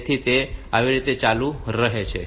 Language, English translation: Gujarati, So, that way it continues